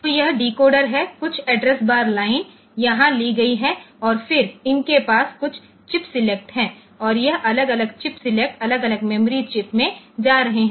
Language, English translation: Hindi, So, this is the decoder; some of the address bars line are taken here and then this has got a number of chip select and this individual chip selects are going to individual memory chips